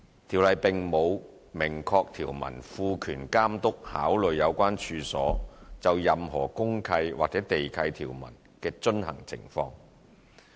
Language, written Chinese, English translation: Cantonese, 《條例》並無明確條文賦權監督考慮有關處所就任何公契或地契條文的遵行情況。, Under the Ordinance there is no express provision empowering the Authority to take into account compliance with any deed of mutual covenant DMC or land lease provisions of the premises concerned